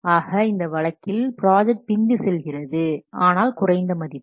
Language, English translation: Tamil, So in this case the project will be behind the time but under project